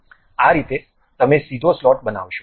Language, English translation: Gujarati, This is the way you construct a straight slot